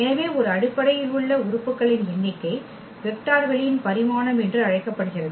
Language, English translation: Tamil, So now, the dimension so, the number of elements in a basis is called the dimension of the vector space